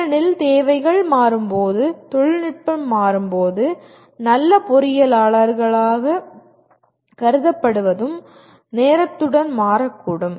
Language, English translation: Tamil, Because as the technology changes as the requirements change what is considered good engineer may also keep changing with time